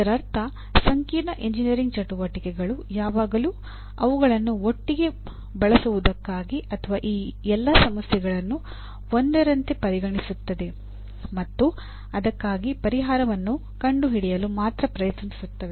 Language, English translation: Kannada, That means complex engineering activities always call for using them together or dealing with all these issues together rather than take one single one and only try to find a solution for that